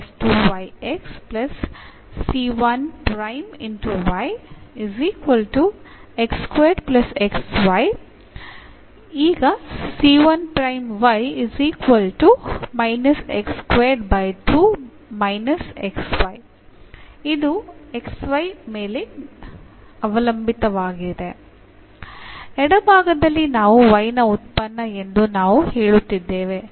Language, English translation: Kannada, And that we will tell us that this is a function of y alone